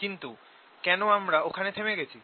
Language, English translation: Bengali, why did we stop there